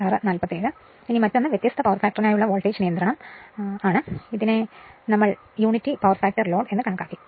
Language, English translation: Malayalam, Now, then another one is now, for voltage regulation expression for different power factor say case 1 we considered unity power factor load